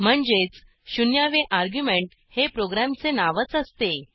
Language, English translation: Marathi, This in turn means that, the zeroth argument is the name of the program itself